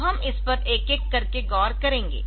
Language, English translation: Hindi, So, we will look into these one by one